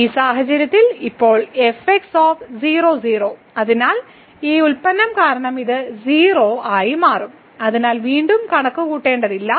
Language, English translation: Malayalam, So, in this case: and now at 0 0, so this will become 0 because of this product there, so no need to compute again